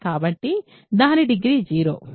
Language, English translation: Telugu, So, its degree is 0